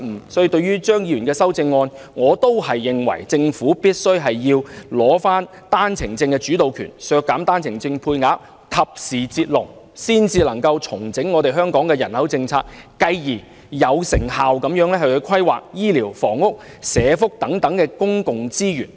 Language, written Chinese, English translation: Cantonese, 因此，對於張議員的修正案，我仍然認為政府必須取回單程證的主導權，削減單程證配額，及時"截龍"，才能重整香港的人口政策，繼而有成效地規劃醫療、房屋和社福等公共資源。, Hence with regard to the amendment proposed by Dr CHEUNG I still consider it necessary for the Government to take back the initiative in the policy on OWP reduce OWP quota and timely draw a line to restructure the population policy of Hong Kong with a view to effectively planning the use of public resources in such areas as health care services housing and social welfare